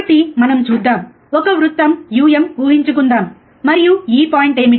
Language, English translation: Telugu, So, you see, let us assume a circle um, and what is if this is the point